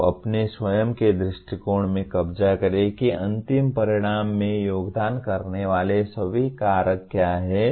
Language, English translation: Hindi, You capture in your own view what are all the factors that contributed to the end result